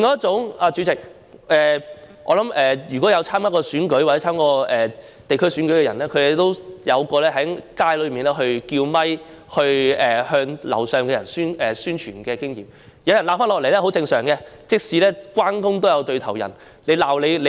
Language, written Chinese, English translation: Cantonese, 主席，我想，參與過選舉的人都有在街上用麥克風向住在樓上的居民宣傳的經驗，因此，都知道有人叫罵回應是很正常的，正所謂"關公也有對頭人"。, President I believe whoever has run in an election should have the electioneering experience of speaking to residents in a building block using a microphone on the street and therefore should know that it is normal to hear someone scolding and shouting back in response . Just as people said everyone has their own enemies